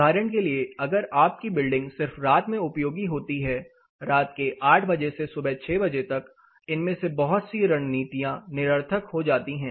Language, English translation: Hindi, If for instance you building is only operational in the night time 8 pm to about 6 in the morning most of these strategies becomes redundant they are not useful